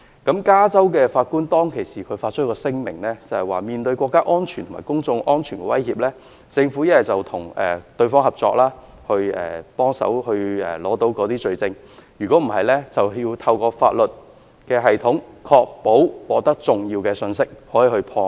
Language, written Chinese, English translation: Cantonese, 加州的法官當時曾發表聲明，指出在面對國家安全及公眾安全的威脅時，政府要不就與網絡安全公司合作取得罪證，不然就要透過法律系統，確保可以獲得重要信息，才能夠破案。, Back at that time a judge of California issued a statement indicating that in the face of threats to national security and public safety the government must either obtain criminal evidence by cooperating with a cyber security firm otherwise it had to ensure that important information could be obtained through the legal system in order to solve the case